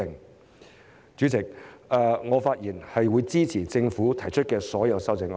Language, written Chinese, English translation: Cantonese, 代理主席，我發言支持政府提出的所有修正案。, With these remarks Deputy Chairman I support all the amendments proposed by the Government